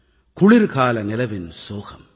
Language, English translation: Tamil, The sad winter moonlight,